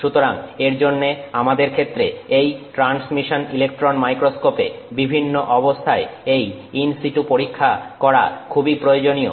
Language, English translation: Bengali, So, for that it is very useful for us to use, do an in situ experiment in the transmission electron microscope, under different conditions